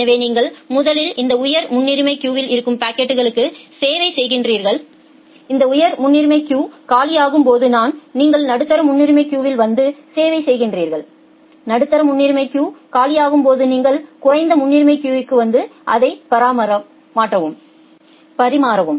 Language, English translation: Tamil, So, you first serve the packets from this high priority queue only when this high priority queue becomes empty then you come to the medium priority queue and serve it, when the medium priority queue becomes empty then you come to the low priority queue and serve it